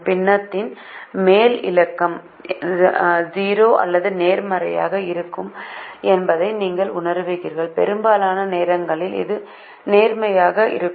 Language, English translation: Tamil, you will realize that the numerator will be either zero or positive, and most times it will be positive